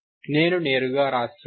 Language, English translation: Telugu, I am writing directly